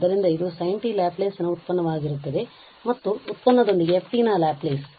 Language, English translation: Kannada, So, this will be the product of the Laplace of sin t and the with the product Laplace of f t